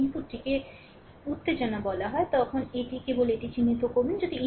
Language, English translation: Bengali, If the input your called excitation, here it is just you mark this one